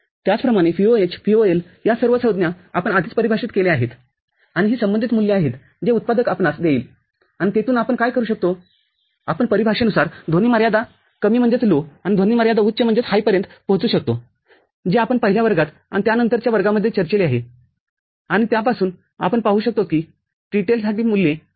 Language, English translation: Marathi, Similarly, VOH, VOL all these terms we have defined before and these are the corresponding values that the manufacturer will give you, and from there what we can do we can arrive at the noise margin low and noise margin high as per the definition that we have discussed in the very first class, and in subsequent classes, and from that we can see for the TTL the values are 0